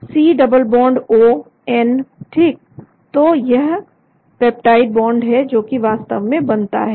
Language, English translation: Hindi, C double bond O N right, so that is the peptide bond that is formed actually